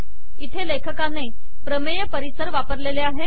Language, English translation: Marathi, Here the author has used what is known as the theorem environment